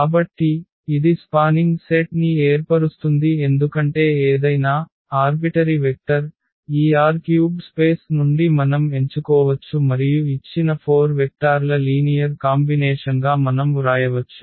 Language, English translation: Telugu, So, this forms a spanning set because any vector any arbitrary vector we can pick from this R 3 space and we can write down as a linear combination of these given 4 vectors